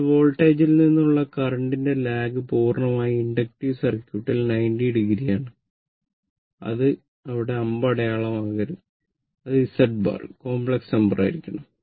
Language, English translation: Malayalam, So, current lacks from the voltage by 90 degree from purely inductive circuit and here it should not be arrow it should not be arrow it should be just Z bar the complex number